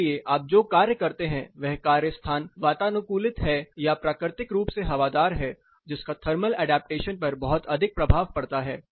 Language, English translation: Hindi, So, the nature of work you do whether the work place is air conditioned or naturally ventilated has a lot of impact on thermal adaptation